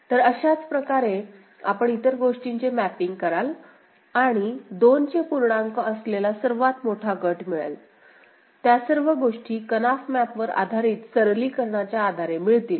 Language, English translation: Marathi, So, similarly you will be mapping the other things and then we’ll we getting the largest group of you know, in integer power of two, all those things you know the Karnaugh map based simplification